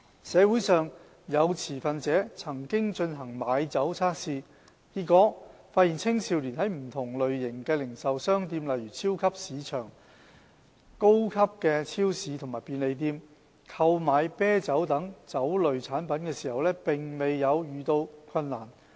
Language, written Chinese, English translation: Cantonese, 社會上有持份者曾進行買酒測試，結果發現青少年在不同類型的零售商店，例如超級市場、高級超市和便利店，購買啤酒等酒類產品時，並沒有遇到困難。, Some stakeholders in the community have conducted experiments on liquor purchase and found out that youngsters had no difficulties purchasing beers and other liquors in different retail stores such as supermarkets premium supermarkets and convenience stores